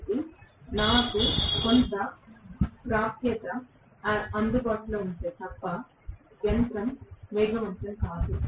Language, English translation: Telugu, So, unless I have some amount of access available the machine is not going to accelerate